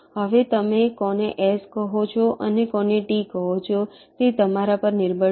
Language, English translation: Gujarati, now which one you call s and which one you call t, that is up to you, right